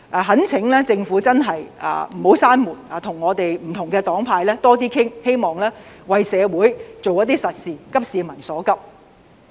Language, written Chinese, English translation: Cantonese, 懇請政府真的不要關上這道門，跟不同黨派多點商討，希望為社會做一些實事，急市民所急。, I beg the Government not to close this door . It should discuss more with different political parties and camps so that we can do something constructive for our society and address the pressing needs of the public